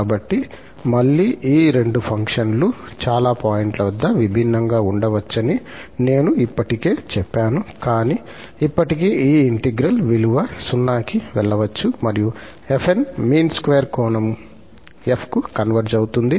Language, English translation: Telugu, So, again, as I already said that these two functions may differ at finitely many points, but still this integral value may goes to 0 and we call that this converges in the mean square sense to f